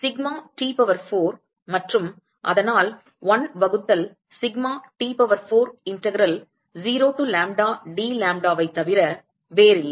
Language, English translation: Tamil, Sigma T power 4 and so, that is nothing but 1 by sigma T power 4 integral 0 to lambda dlambda